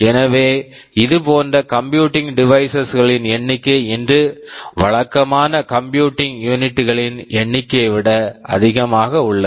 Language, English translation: Tamil, So, the number of such embedded computing devices far outnumber the number of conventional computing devices today